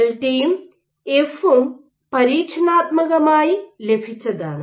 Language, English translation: Malayalam, So, delta and F are experimentally obtained